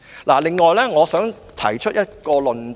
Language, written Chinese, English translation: Cantonese, 此外，我還想提出一個論點。, Furthermore I would like to put forward another argument